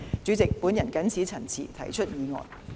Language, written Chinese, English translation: Cantonese, 主席，我謹此陳辭，提出議案。, With these remarks President I beg to move